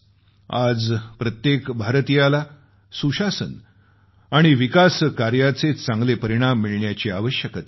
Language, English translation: Marathi, Every Indian should have access to good governance and positive results of development